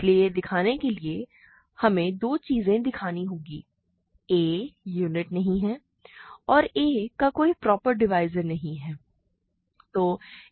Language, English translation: Hindi, So, to show, we have to show two things, a is not a unit and a has no proper divisors, right